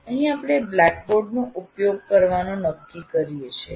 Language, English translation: Gujarati, And here we have decided to use the blackboard